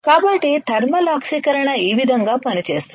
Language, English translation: Telugu, So, this is how the thermal oxidation works